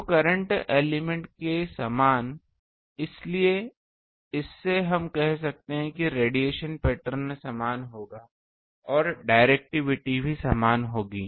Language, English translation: Hindi, So, same as the current element; so, from this we can say that radiation pattern will be same and directivity also will be same